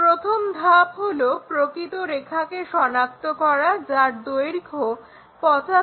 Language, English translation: Bengali, The first step is identify true line 75 mm